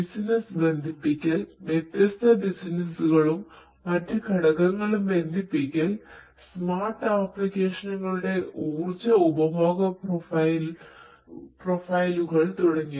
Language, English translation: Malayalam, Connecting the business, connecting different businesses and different other components, smart applications energy consumption profiles and so on